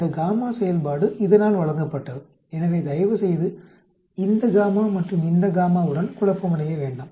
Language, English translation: Tamil, This gamma function is given by, so please do not confuse with this gamma and this gamma